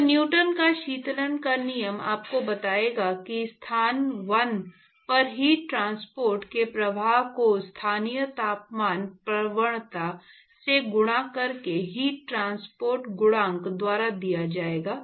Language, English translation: Hindi, So, Newton’s law of cooling will tell you that the flux of heat transport at location 1 would be given by heat transport coefficient multiplied by the local temperature gradient